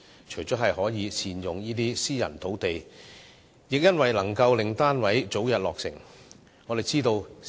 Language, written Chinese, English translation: Cantonese, 此舉除了可善用私人土地外，亦可令單位早日落成。, If these sites are used not only can private land be put to good use but the completion of the flats can be expedited